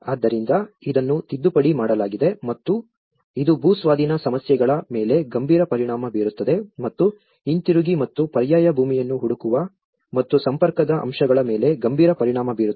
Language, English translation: Kannada, So it has been amended and this has implication has a serious implication on the land acquisition issues and going back and finding an alternative piece of land and the connectivity aspects